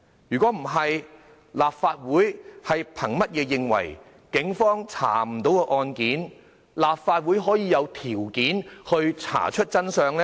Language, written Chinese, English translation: Cantonese, 否則的話，立法會憑甚麼認為警方也查不出的案件，立法會會有條件查出真相呢？, Otherwise why do Members believe that they have the qualities to uncover the truth behind a case which is unmanageable even for the policemen?